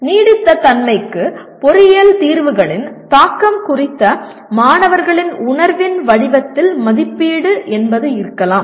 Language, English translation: Tamil, Assessment could be in the form of student’s perception of impact of engineering solutions on sustainability